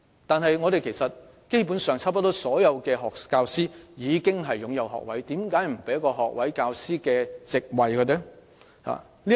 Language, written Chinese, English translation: Cantonese, 但基本上，幾乎所有教師均擁有學位，為何不能為他們提供學位教師的教席呢？, But basically almost all the teachers are degree holders so why can they not be offered graduate posts?